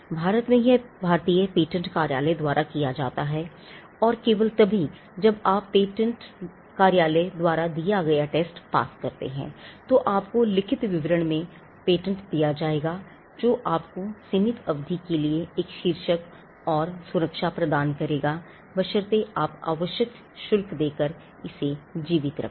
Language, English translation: Hindi, In India it is done by the Indian patent office and only when you pass the tests that the Indian patent office will subject your written description to will you be granted a patent, which will give you a title and a protection for a limited period of time, provided you keep it alive by paying the required fees